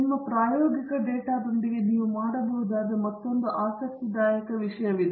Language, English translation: Kannada, There is another interesting thing you can do with your experimental data